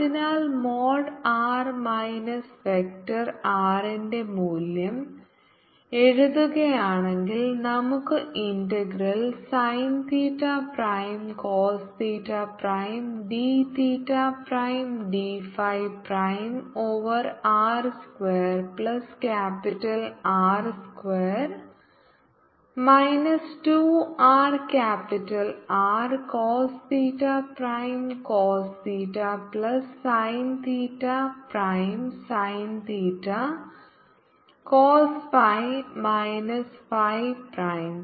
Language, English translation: Malayalam, so if we write the value of mode r minus vector r, we can see the integral sin theta prime cos theta prime d theta prime d phi prime over r square plus capital r square minus two r capital r cos theta cos theta plus theta prime sin theta cos phi minus phi